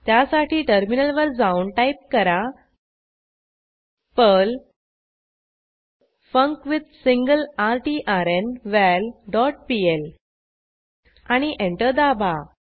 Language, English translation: Marathi, So, switch to terminal and type perl funcWithSingleRtrnVal dot pl and press Enter